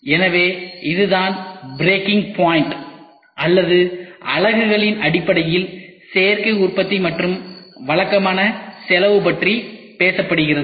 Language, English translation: Tamil, So, this is what is the breaking point, where in which tries to talk about Additive Manufacturing and conventional cost in terms of units